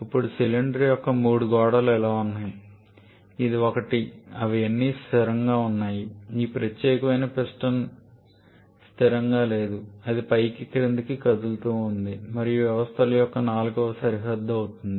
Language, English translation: Telugu, Now while the three walls of the cylinder like this one this, one this, one they are all fixed this particular piston is not fixed that keeps on moving up and down and that from the fourth boundary of the system